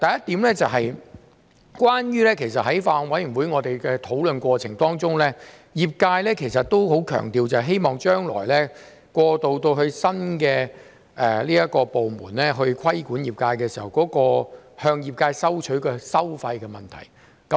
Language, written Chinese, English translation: Cantonese, 第一，在法案委員會討論過程中，業界也相當強調將來過渡至由新部門規管業界時，向業界收費的問題。, First during the discussion of the Bills Committee the industry placed great emphasis on the fees to be charged on the industry when a new body regulates the industry in the future